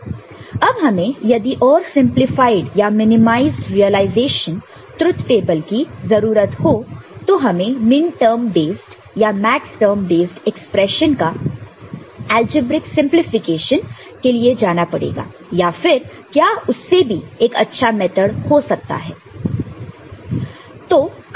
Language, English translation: Hindi, Now, if you want to have a more simplified or minimized realization of a truth table, do you need to go for algebraic simplification of the minterm based or maxterm based expression that you have got